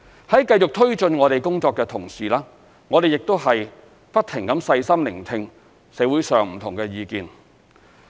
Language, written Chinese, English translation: Cantonese, 在繼續推進我們工作的同時，我們亦不停細心聆聽社會上不同的意見。, As we proceed with our work we will listen carefully to different views in society